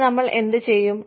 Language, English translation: Malayalam, Then, what do we do